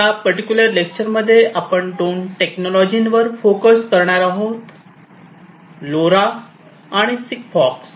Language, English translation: Marathi, So, in this particular lecture I am going to focus on two technologies; LoRa and SIGFOX